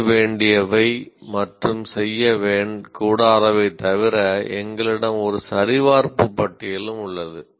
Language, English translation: Tamil, In addition to do some don'ts, we also have a checklist